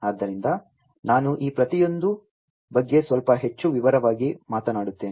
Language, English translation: Kannada, So, I am going to talk about each of these, in little bit more detail now